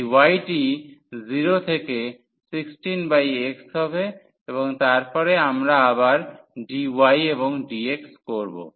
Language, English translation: Bengali, So, this y is equal to 0 to 16 over x and then we have again dy and dx